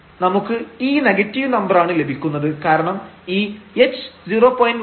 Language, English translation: Malayalam, So, this we already let this h to 0 here